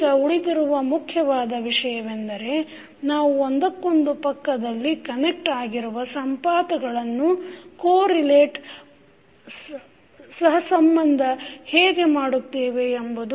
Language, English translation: Kannada, Now, the important thing which is still is left is that how we will co relate the nodes which are connect, which are adjacent to each other